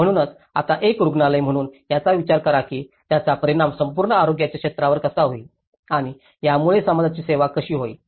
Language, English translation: Marathi, So, being a hospital do you think now how it will affect the whole health sector and which is serving the community